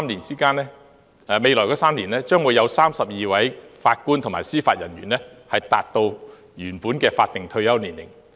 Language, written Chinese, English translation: Cantonese, 在未來3年，將會有32名法官及司法人員達到原本的法定退休年齡。, In the next three years 32 JJOs will reach the original statutory retirement age